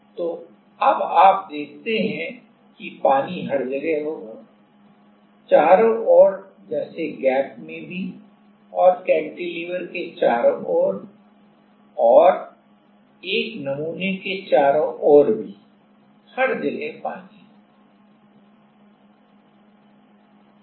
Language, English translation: Hindi, So, now, you see that the water will be everywhere, in the around like in the gap also and around the gap around the cantilever around a sample everyone, everywhere there will be water